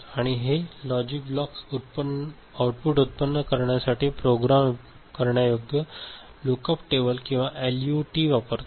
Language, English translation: Marathi, And these logic blocks to generate output uses programmable lookup table or LUT